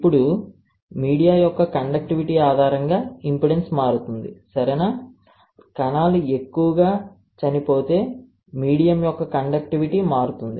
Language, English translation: Telugu, Now, the impedance would change based on the conductivity of the media, right, the conductivity of the medium would change if the cells dies more